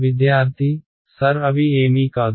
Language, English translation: Telugu, Sir they do not be anything